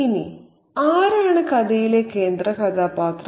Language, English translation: Malayalam, Now, who is the central character in the story